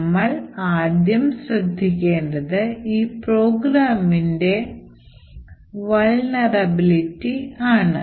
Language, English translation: Malayalam, The first thing to note in this particular program is the vulnerability